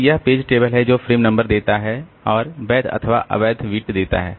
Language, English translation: Hindi, So, this is the page table giving the frame number and the valid invalid bit